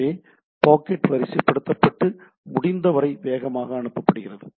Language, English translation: Tamil, So, packet queued and transmitted as fast as possible, right